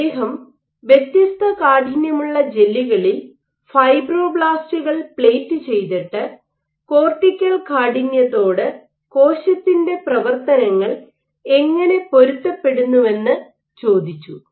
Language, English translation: Malayalam, So, in which he plated fibroblasts on gels of varying stiffness and asked, how does cortical stiffness how do the cell mechano adapt